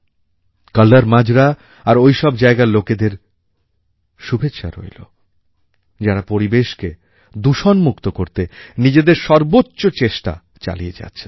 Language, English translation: Bengali, Congratulations to the people of KallarMajra and of all those places who are making their best efforts to keep the environment clean and pollution free